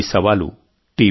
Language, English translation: Telugu, The challenge is T